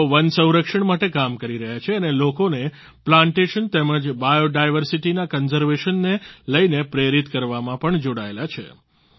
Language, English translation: Gujarati, He has been constantly working for forest conservation and is also involved in motivating people for Plantation and conservation of biodiversity